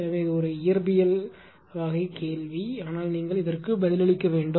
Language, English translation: Tamil, So, this is a ah question it is a physics type of question, but you should answer this, right